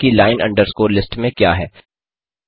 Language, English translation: Hindi, Let us see what line underscore list contains